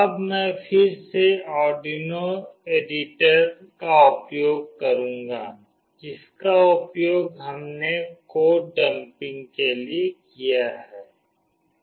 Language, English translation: Hindi, Now I will again use the Arduino editor, which we have used for dumping the code